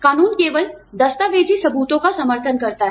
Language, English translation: Hindi, The law only supports, documentary evidence